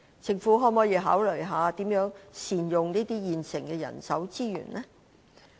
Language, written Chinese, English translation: Cantonese, 政府可否考慮如何善用現有的人力資源呢？, Can the Government consider how to make good use of the existing manpower resources?